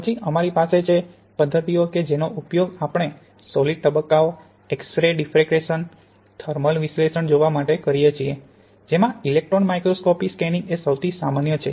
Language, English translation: Gujarati, Then we have methods which we can use to look at the solid phases, X ray diffraction, thermal analysis, the scanning electron microscopy are the most common